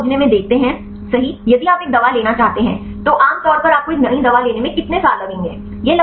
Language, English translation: Hindi, So, we look into the drug discovery right if you want to have a drug, normally how many years you will take to get a new drug